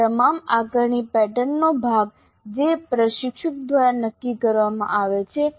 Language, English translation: Gujarati, Now these are all part of the assessment pattern which is decided by the instructor